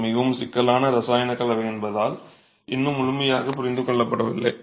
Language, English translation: Tamil, It's still not fully understood because it's a very complex chemical composition